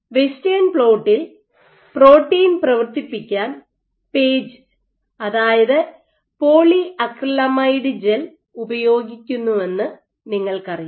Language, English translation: Malayalam, So, you know that you run proteins for western plot on PAGE, polyacrylamide gels right